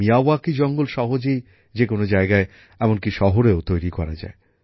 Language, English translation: Bengali, Miyawaki forests can be easily grown anywhere, even in cities